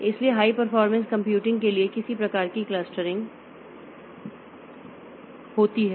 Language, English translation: Hindi, So, some sort of clustering is there for high performance computing